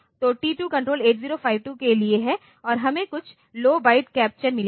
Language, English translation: Hindi, So, T2CON is for 8 0 5 2 and we have got some low byte captures